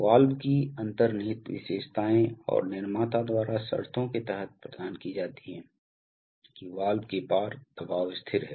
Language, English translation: Hindi, Inherent characteristics of the valve and are provided by the manufacturer under conditions that the pressure across the valve is constant